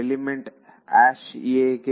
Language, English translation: Kannada, For element a